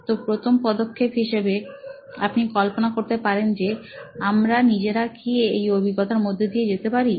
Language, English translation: Bengali, So, the first step as you can imagine is to see, ‘Can we go through this experience ourselves